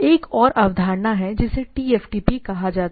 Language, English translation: Hindi, So, there is another concept called TFTP